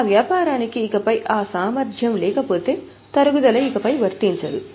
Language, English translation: Telugu, If that business does not have that capacity any longer, that means the depreciation is no longer applicable